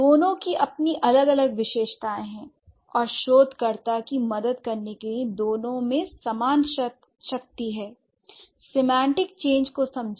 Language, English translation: Hindi, Both have their distinct features and both have equal strength to help the researcher to understand the semantic change